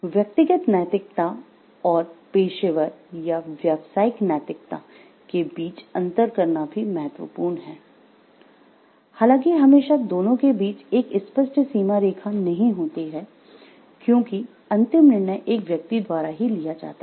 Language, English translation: Hindi, So, it is important to distinguish between a personal ethics and professional ethics or business ethics, although there isn’t always a clear boundary between the 2 because at the end of the day it is the person who is making the decision